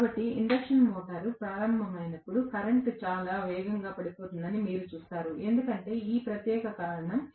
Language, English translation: Telugu, So, you will see that as the induction motor starts the current falls very rapidly, because of this particular reason